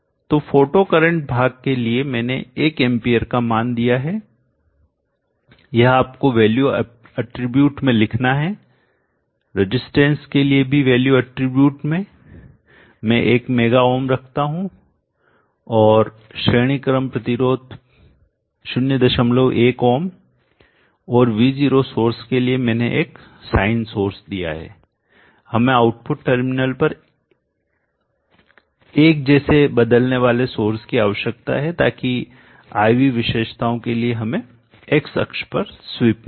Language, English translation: Hindi, SUV next I have given values to the various components let me bring it to close up like this so for the photocurrent part I have given up one hand as IQ you just have to enter into the value attribute and for the resistance also into the value attribute I put one mega ohms and the series resistance point 1 ohm and for the V0 source I have given as a sign source we need a monotonically varying source here at the output terminals so that we have x axis sweep for IV characteristics